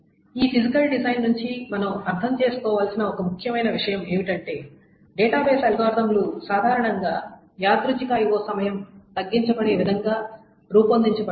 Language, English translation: Telugu, This is one very important point that we need to understand from this physical design is that the database algorithms are typically designed such that the random I